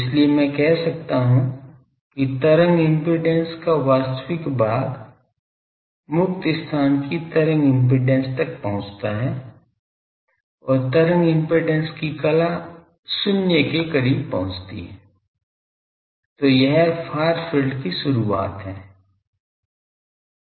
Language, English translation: Hindi, So, I can say that the distance where the real part of wave impedance approaches the free space wave impedance and phase of wave impedance approaches 0 that is the start of a far field